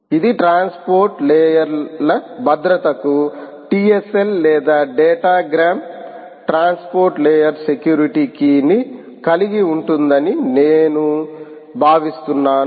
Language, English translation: Telugu, i think this is going to hold the key to transport layer security: either tls or datagram transport layer security